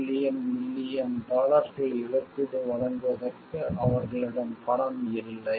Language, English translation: Tamil, 3 million dollar saying, they have no money to pay any damages